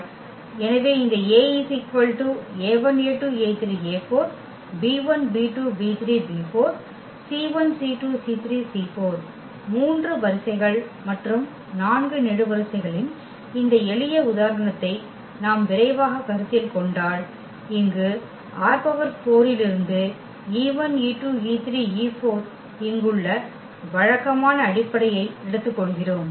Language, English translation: Tamil, So, if you consider just quickly this simple example of this 3 rows and 4 columns and we take for instance the usual basis here e 1 e 2 e 3 e 4 from R 4 these are the standard basis of R 4 which we have already discussed before